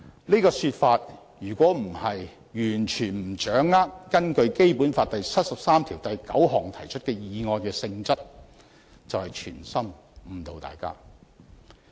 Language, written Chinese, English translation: Cantonese, 這種說法如非出於完全不掌握根據《基本法》第七十三條第九項提出的議案的性質，便是存心誤導大家。, Members who make this remark either completely fail to understand the nature of the motion initiated under Article 739 of the Basic Law or they have the ulterior motive to mislead people